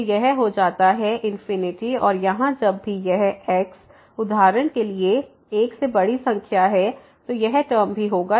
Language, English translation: Hindi, So, this becomes infinity and here whenever this is for example, large number greater than 1, then this term is also going to infinity